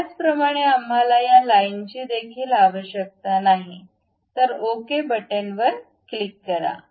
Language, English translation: Marathi, Similarly, we do not really require these lines, then click ok